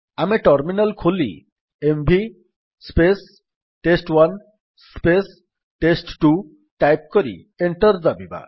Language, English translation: Odia, We open the terminal and type: $ mv test1 test2 and press Enter